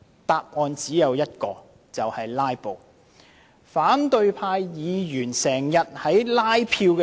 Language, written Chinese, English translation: Cantonese, 答案只有一個，就是他們想"拉布"。, There is only one answer they want to filibuster